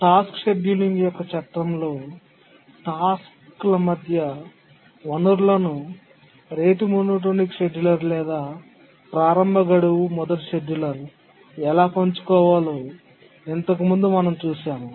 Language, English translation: Telugu, In the last lecture, we are looking at how resources can be shared among tasks in the framework of tasks scheduling may be a rate monotonic scheduler or an earliest deadline first scheduler